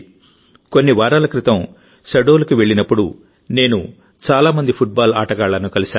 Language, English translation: Telugu, When I had gone to Shahdol a few weeks ago, I met many such football players there